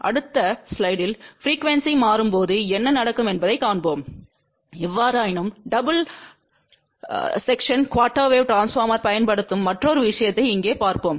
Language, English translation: Tamil, We will see that in the next slide what happens as the frequency changer ; however, let us look into one more thing here which is a using double section quarter wave transformer